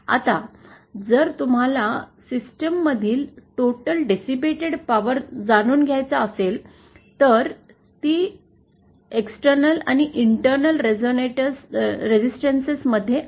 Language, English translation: Marathi, Now, if you want to find out the total power dissipated in the system, that is both in the external as well as internal resistances